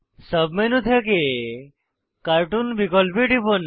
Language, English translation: Bengali, Click on Cartoon option from the sub menu